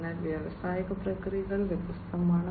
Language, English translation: Malayalam, So, industrial processes are different